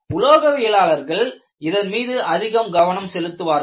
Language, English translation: Tamil, And this is what metallurgists focus upon